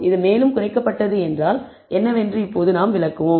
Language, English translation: Tamil, What this reduced further means we will explain